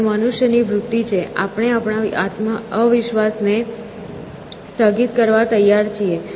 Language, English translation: Gujarati, And, human beings have a tendency, we have, we are willing to suspend our disbelief essentially